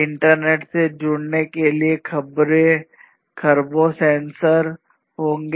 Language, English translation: Hindi, There would be trillions of sensors connected to the internet